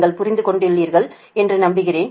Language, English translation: Tamil, i hope you understood right